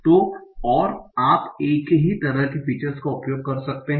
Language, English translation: Hindi, So, and you can use the same sort of features